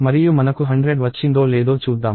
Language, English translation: Telugu, And let me see whether I have got 100